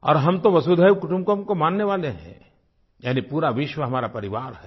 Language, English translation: Hindi, And, we are believers in "Vasudhaiv Kutumbakam" which means the whole world is our family